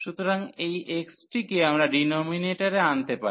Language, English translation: Bengali, So, this x we can bring to the denominators